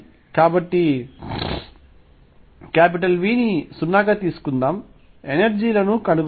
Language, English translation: Telugu, So, let us take V to be 0, find the energies